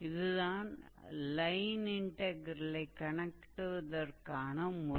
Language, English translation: Tamil, So, this is how we calculate the line integral